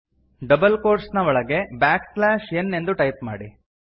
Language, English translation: Kannada, Within double quotes, type backslash n